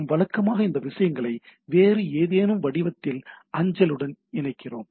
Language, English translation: Tamil, So what we do usually attach that things in some form of other with the mail